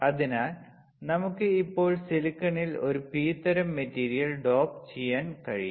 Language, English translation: Malayalam, So, we can now dope a P type material in this silicon